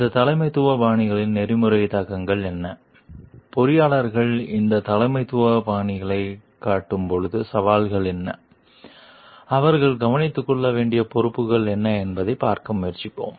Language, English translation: Tamil, And we will try to see what are the ethical implications of these Leadership Styles and like how engineers when they show this leadership style what are the challenges and what are the responsibilities which they need to take care of